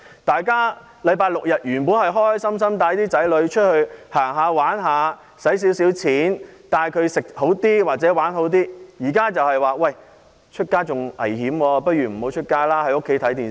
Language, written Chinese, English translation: Cantonese, 大家在星期六日本來開開心心，可以帶子女出外遊玩消費，吃喝玩樂，但現時外出相當危險，倒不如留在家裏看電視。, Supposedly people should have a good time on Saturdays and Sundays as they can take their children out for pleasure shopping eating and entertainment . However it is now rather dangerous to go out and people just stay home to watch television